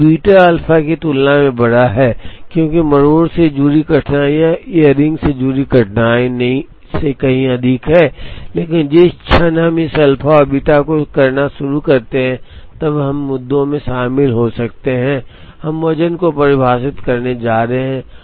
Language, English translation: Hindi, But, beta is bigger than alpha, because the difficulties associated with tardiness are far more than the difficulties associated with earliness, but also the moment we start doing this alpha and beta then we get into issues of however, we are going to define the weights alpha and beta